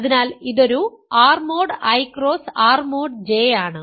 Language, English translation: Malayalam, So, this is an R mod I cross R mod J